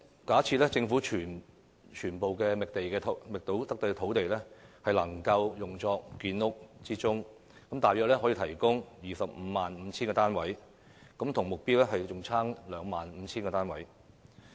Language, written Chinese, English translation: Cantonese, 假設政府將所有覓得的土地均用作建屋之用，約可提供 255,000 個公營房屋單位，但仍較目標相差 25,000 個單位。, Assuming all sites identified by the Government are used for housing construction about 255 000 PRH units can be provided but that number falls short of the target by 25 000